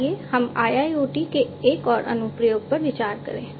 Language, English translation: Hindi, So, there are different challenges in the deployment of IIoT